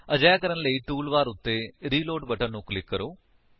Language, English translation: Punjabi, To do this, click on Reload button on the tool bar